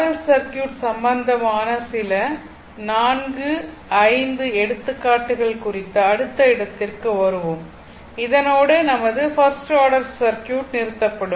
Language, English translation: Tamil, So let us come to your next regarding RL circuits few examples 4 5 examples and with this your first order circuit will stop